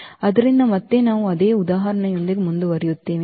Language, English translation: Kannada, So, again we will continue with the same example